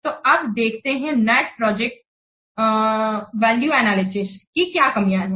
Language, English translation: Hindi, So let's see what are the limitations of net present value analysis